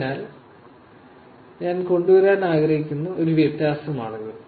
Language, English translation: Malayalam, So, that is a difference that I wanted to bring